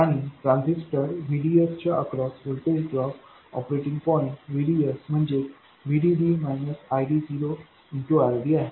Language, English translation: Marathi, And the voltage drop across the transistor, VDS, the operating point VDS equals VD minus ID0 times RD